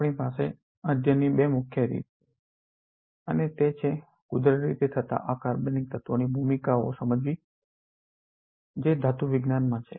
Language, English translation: Gujarati, We have two major avenues of study and that is to understand the roles of naturally occurring inorganic elements which is metal in biology